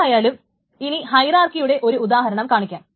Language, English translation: Malayalam, Anyway, so here is an example of a hierarchy